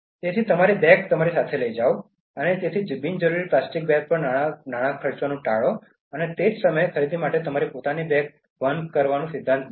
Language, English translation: Gujarati, So, take your bags with you, so avoid spending money on unnecessary plastic bags, but at the same time make it a principle to carry your own bags for shopping